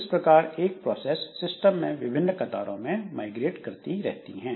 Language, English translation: Hindi, So, that's why a process can migrate among different queues in the system